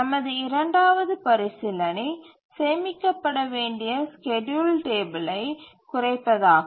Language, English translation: Tamil, The second consideration is minimization of the schedule table that we have to store